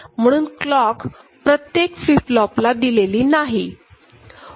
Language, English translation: Marathi, Clock is given to the first flip flop right